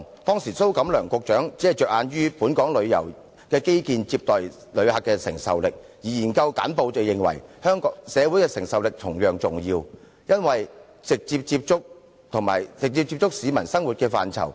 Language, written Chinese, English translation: Cantonese, 當時蘇錦樑局長只着眼於本港旅遊基建接待旅客的承受力，而研究簡報則認為社會承受力同樣重要，因為這是直接接觸市民生活的範疇。, Mr Gregory SO Secretary for Commerce and Economic Development then had his eyes fixed on the capability of Hong Kongs tourism infrastructure to receive visitors but the research brief of the Research Office held that societys capacity to cope was just as important because it impacted on the lives of the citizens direct